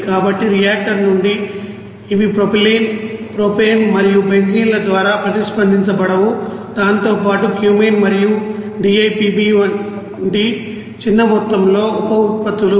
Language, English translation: Telugu, So from the reactor these unreacted through propylene propane and you know benzenes along with that products like Cumene and the small amount of byproducts that is DIPV